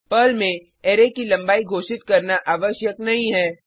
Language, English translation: Hindi, In Perl, it is not necessary to declare the length of an array